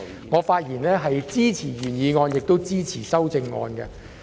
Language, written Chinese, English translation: Cantonese, 我發言支持原議案，亦支持修正案。, I speak in support of the original motion and the amendment